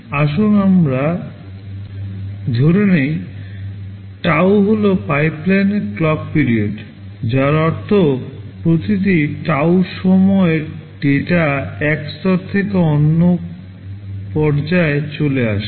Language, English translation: Bengali, Let us say tau is the clock period of the pipeline, which means, every tau time data moves from one stage to the other